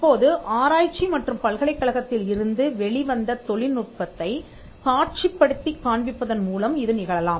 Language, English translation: Tamil, Now, this could also happen by showcasing research and the technology that has come out of the university